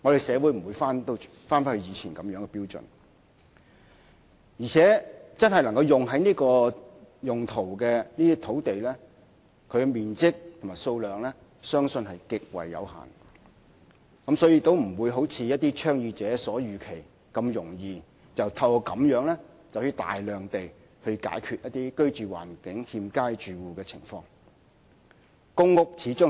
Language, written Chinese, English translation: Cantonese, 社會不能倒退，再度採用當年的標準，因此真的能用作興建過渡性房屋的土地的面積和數量相信極為有限，不會如一些倡議者所言，透過此安排便能輕易解決居住環境欠佳的住戶的問題。, Society will not retrogress and apply the former standards again . Hence the area and quantities of land that are truly suitable for transitional housing are very limited . Unlike what some advocates have said this arrangement can readily solve the problems faced by the inadequately housed households